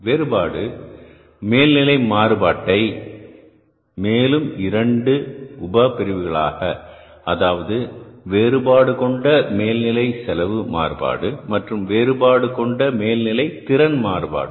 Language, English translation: Tamil, Variable overhead variance also has the further two sub bariances, variable overhead expenditure variance and the variable overhead efficiency variance